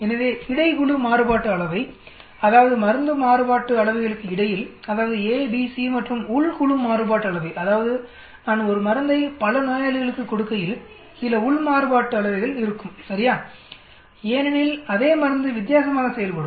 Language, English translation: Tamil, So between group variance that means, between the drug variance, that is a, b, c and within the group variance that means, when I am doing multiple same drug given to many patient will be some variance inside right, because same drug will perform differently